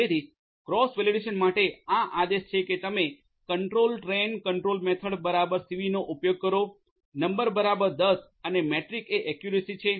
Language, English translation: Gujarati, So, for cross validation you know this is this is the command that you use control train control method equal to cv, number equal to 10 and the metric is accuracy